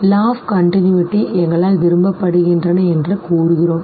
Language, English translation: Tamil, The law of continuity says that continuous figures are preferred by us